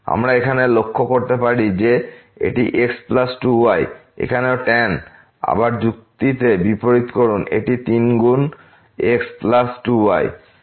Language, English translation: Bengali, We can observe here that this is plus 2 and here also the inverse the argument again it is times plus 2